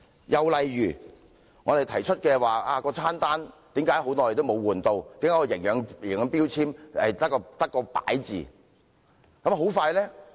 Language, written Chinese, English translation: Cantonese, 又例如我們提出囚友餐單為何長期沒有更換、營養標籤只是門面工夫。, In another example we asked why the menu for inmates had not been changed for a long period questioning that nutrition labelling was merely window dressing